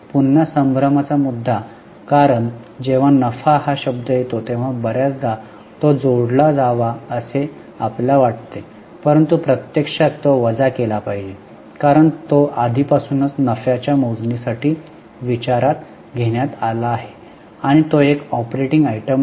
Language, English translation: Marathi, Again a point of confusion because many times when the word profit comes we feel it should be added but in reality it should be deducted because it has already been considered for calculation of profit and it is not an operating item